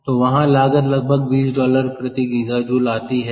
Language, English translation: Hindi, so the cost there is almost twenty dollars per gigajoule